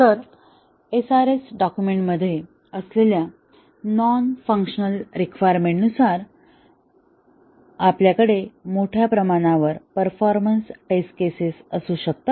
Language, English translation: Marathi, So, depending on the non functional requirements that are there in the SRS document, we can have a large number of performance test cases